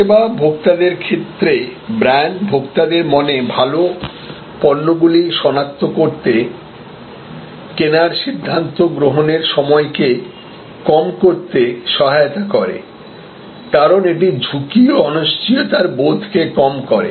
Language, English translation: Bengali, So, to the service consumer, brand helps to identify good products in his or in the consumers mind, reduce the decision making time to make the purchase, because it reduces the risk perception, the sense of uncertainty